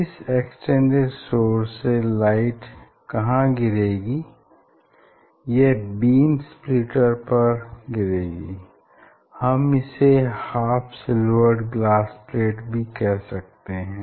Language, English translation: Hindi, Now this light from this extended source where it will fall, it will fall on the beam splitters or we are telling these half silver glass pipe